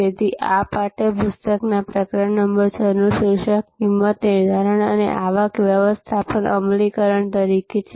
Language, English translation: Gujarati, So, chapter number 6 in this text book is titled as setting price and implementing revenue management